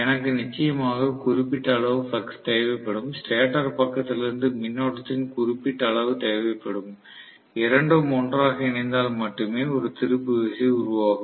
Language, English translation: Tamil, So, I will need definitely particular strength of the flux, particular strength of the current from the stator side, all that put together only will develop a torque